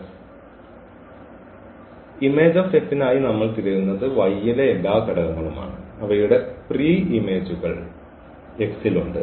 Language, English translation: Malayalam, So, image F what we are looking for the all the elements in y whose pre image is there in X